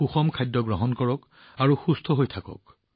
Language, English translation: Assamese, Have a balanced diet and stay healthy